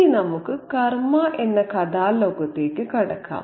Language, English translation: Malayalam, Now, let's move on to the story world of karma